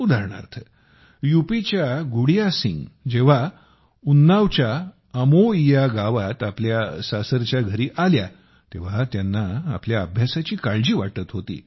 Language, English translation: Marathi, For example, when Gudiya Singh of UP came to her inlaws' house in Amoiya village of Unnao, she was worried about her studies